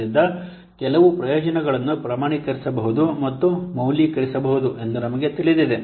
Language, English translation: Kannada, So, we have known that there are some benefits which can be quantified and valued